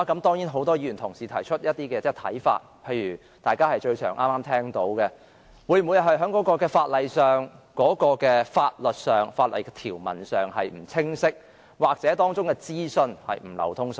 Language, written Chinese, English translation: Cantonese, 當然，很多議員也提出一些看法，例如大家剛才經常提到的一點，也就是會否因為在法律上或法例的條文不清晰，又或當中的資訊不流通所致？, Of course many Members have put forward some views such as whether it is the result of the lack of clarity in law or in the legal provisions or the poor flow of information a point often mentioned by Members earlier